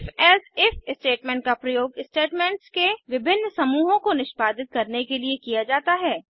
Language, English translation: Hindi, If…Else If statement is used to execute various set of statements